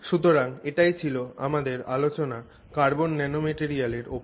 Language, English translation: Bengali, So, that's our sort of discussion on carbon nanomaterials